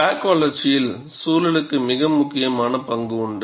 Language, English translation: Tamil, And environment has a very important role to play in crack growth